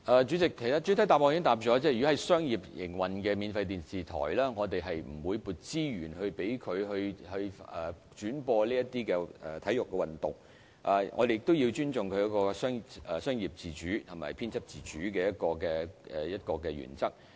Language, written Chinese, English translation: Cantonese, 主席，其實主體答覆已經指出，就商業營運的免費電視台而言，我們並不會撥資源以轉播體育運動節目，況且我們亦要尊重商業自主及編輯自主的原則。, President the main reply already points out that the Government will not allocate any resources to free television broadcasters in commercial operation for the broadcasting of sports programmes . Besides we must respect the principles of commercial autonomy and editorial independence